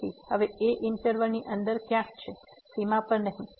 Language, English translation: Gujarati, So now, is somewhere inside the interval not at the boundary